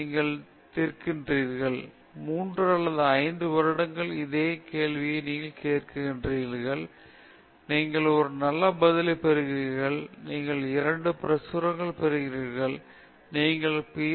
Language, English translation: Tamil, You ask the right question, you solve, you work on this question for three to five years, you get a good answer, you get a couple of publications, you get your Ph